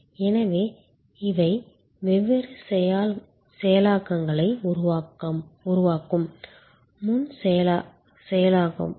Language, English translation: Tamil, So, these are preprocessing creating different streams